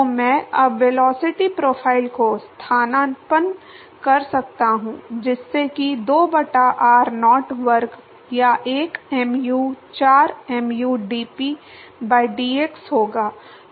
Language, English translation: Hindi, So, I can substitute now the velocity profile, so that will be 2 by r naught square or one by mu, 4 mu dp by dx